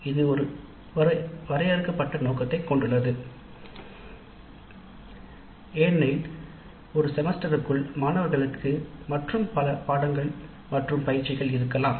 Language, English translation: Tamil, It has a limited scope because it is done within a semester and also there are other courses through which the students go through